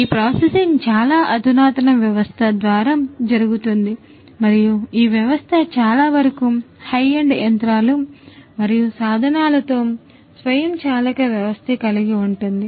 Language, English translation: Telugu, And this processing happens through a very sophisticated system and this system is to a large extent an automated system with high end machinery and instruments ah